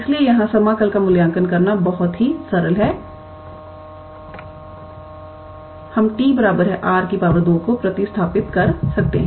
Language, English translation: Hindi, So, here it is a very simple integral to evaluate we can substitute t is equals to r square